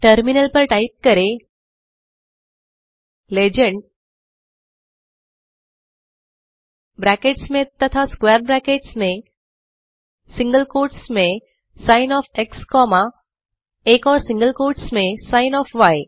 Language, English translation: Hindi, So we can type on the terminal legend within brackets and in square brackets in single quotes sin of x comma another single quotes sin of y